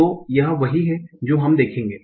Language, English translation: Hindi, So, that's what we will see